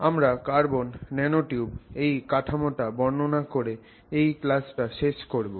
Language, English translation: Bengali, We will close this class by trying to describe the general structure of carbon nanotubes